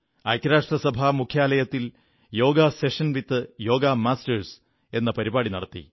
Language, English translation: Malayalam, A 'Yoga Session with Yoga Masters' was organised at the UN headquarters